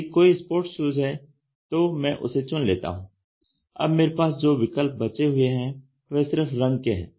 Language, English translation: Hindi, If there is a sport shoe, I just pick, then I have what are the options left is the colour I have that is all